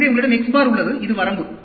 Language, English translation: Tamil, So, you have the X bar and this is the range